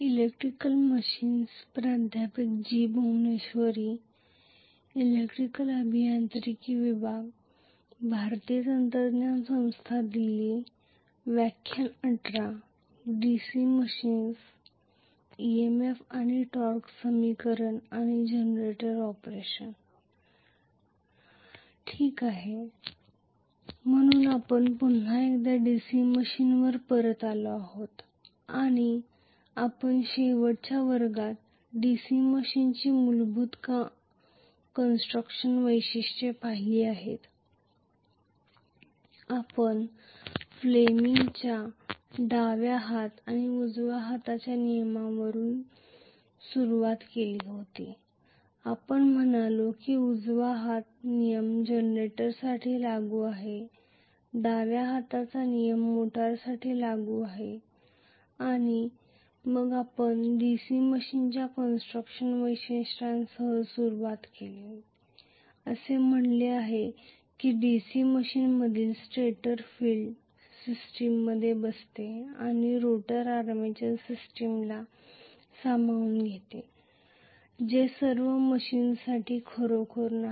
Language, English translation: Marathi, Okay, so we are back on DC machines once again, and we had looked at in the last class the basic constructional features of a DC machine, we started off in fact with Fleming’s left hand and right hand rule we said right hand rule will be applicable for generator, left hand rule will be applicable for motor, and then we started off with the constructional features of a DC machines, we said that the stator in a DC machine accommodates field system and the rotor accommodates the armature system this is not really true for all the machines, this is a unique feature of a DC machine